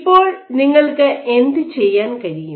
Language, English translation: Malayalam, Now, what you can do